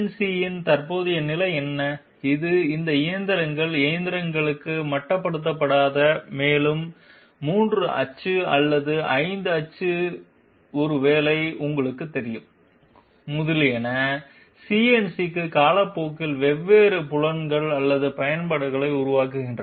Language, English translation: Tamil, What is the current status of CNC, is it restricted to all these machines machining and you know 3 axis or 5 axis maybe, etc, there are different fields or applications developing overtime for CNC